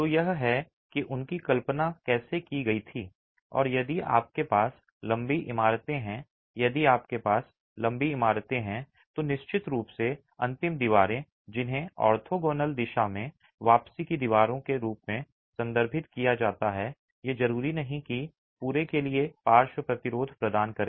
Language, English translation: Hindi, And if you have long buildings, if you have long buildings, of course the end walls which are referred to as the return walls in the orthogonal direction, these need not necessarily provide lateral resistance for the entire length of the long walls